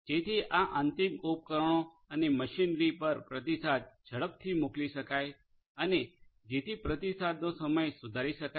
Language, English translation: Gujarati, So, that the responses can be sent to these end equipment and machinery quickly so, the response time could be improved